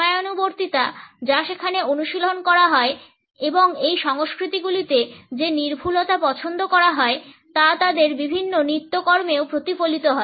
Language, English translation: Bengali, The punctuality which is practiced over there and the precision which is preferred in these cultures is reflected in various routines also